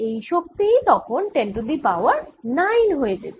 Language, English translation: Bengali, then the energy would be ten raise to nine